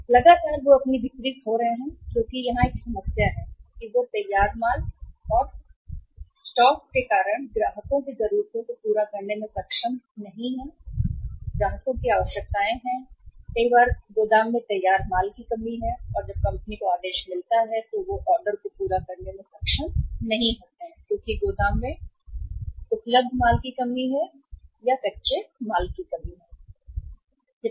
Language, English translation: Hindi, Means on the continuously basis they are losing the sales because one problem is that there is a stock out of the finished goods and company is not able to serve the client’s needs or to fulfill the client’s requirements and many a times there is a shortage of the finished goods in the warehouse and when the company receives the order they are not able to fulfill the order because of the shortage of the goods available in the warehouse or non availability of the goods in the warehouse